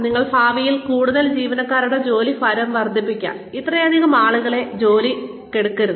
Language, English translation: Malayalam, But then, you could may be, increase the workload of, further of employees in future, and not hire so many people